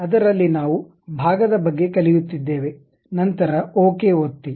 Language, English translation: Kannada, In that we are learning about Part, then click Ok